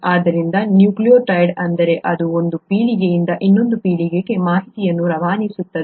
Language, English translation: Kannada, So that is what a nucleotide is all about and that is what passes on the information from one generation to another